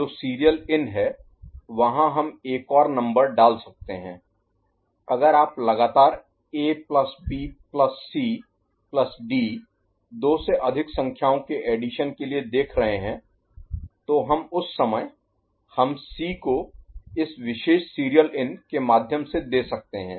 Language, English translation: Hindi, The serial in that is there we can put another number so, if you are looking for consecutive addition of A plus B plus C plus D more than two numbers so, we can make C enter at that time through this particular serial in ok